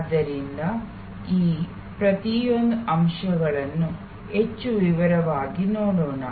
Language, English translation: Kannada, So, let us now see each one of these elements more in detail